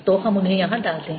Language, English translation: Hindi, so let's put them here